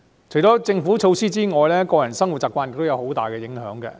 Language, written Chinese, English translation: Cantonese, 除了政府措施之外，個人生活習慣也對環境有很大影響。, Apart from government measures personal habits also have a significant influence on the environment